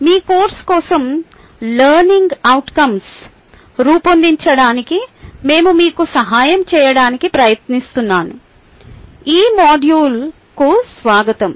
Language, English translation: Telugu, welcome to these module where we are trying to help you to design learning outcome for your course